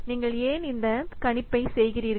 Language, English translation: Tamil, Why you have done this estimate